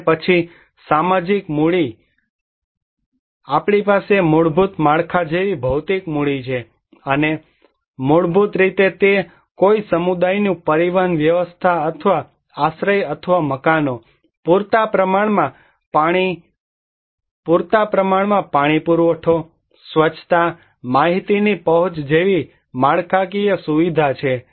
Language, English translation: Gujarati, And then after social capital, we have physical capital like basic infrastructures and basically it is the infrastructure of a community like a transport system or shelter or buildings, adequate water supply, sanitation, access to information